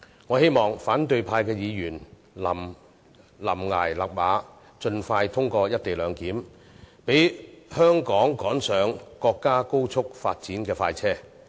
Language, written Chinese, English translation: Cantonese, 我希望反對派議員臨崖勒馬，盡快通過《條例草案》，讓香港趕上國家高速發展的快車。, I hope Members from the opposition camp will rein in at the brink of the precipice to allow the early passage of the Bill so that Hong Kong may jump onto the express of rapid national development